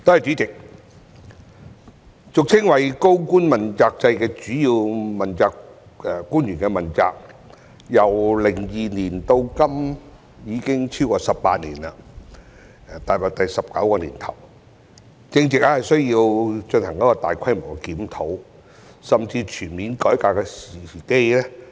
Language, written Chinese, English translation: Cantonese, 主席，俗稱"高官問責制"的主要官員問責制，由2002年至今已經實行超過18年，踏入第十九個年頭，正值需要進行大規模檢討、甚至全面改革的時機。, President the accountability system for principal officials commonly known as the accountability system for senior officials has been in place for more than 18 years since 2002 and is now in its 19 year of operation which is an opportune time for a major review or even a comprehensive reform